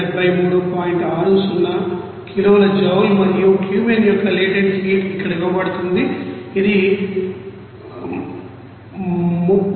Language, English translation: Telugu, 60 kilo joule per kilo mole and latent heat of Cumene it is given here 30919